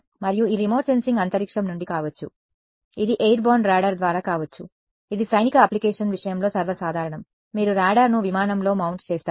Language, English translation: Telugu, And, this remote sensing could be from space, it could be via an airborne radar as well which is more common in the case of military application, you mount the radar on an aircraft